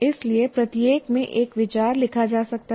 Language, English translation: Hindi, So one can write one idea in each one